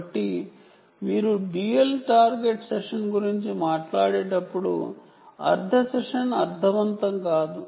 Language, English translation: Telugu, so when you talk about dual target session doesnt make sense